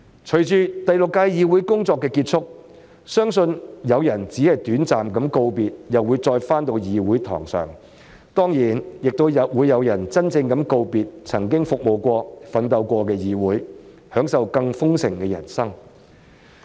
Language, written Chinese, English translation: Cantonese, 隨着第六屆議會工作結束，相信有人只是短暫告別，然後便會重回議事堂，當然亦有人會真正告別曾經服務、奮鬥的議會，享受更豐盛的人生。, As our work in the Sixth Legislative Council is drawing to a close I know that some of us will only leave for a brief period of time before returning to this legislature while some others will really bid farewell to this Council which they have served and struggled for and lead an even more successful life